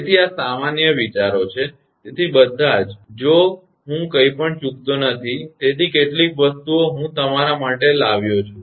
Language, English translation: Gujarati, So, these are general ideas; so all if I miss anything, so some things I have brought for all of you